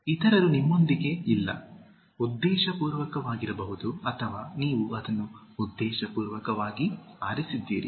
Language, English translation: Kannada, Others are not with you, may be deliberately or you have chosen that deliberately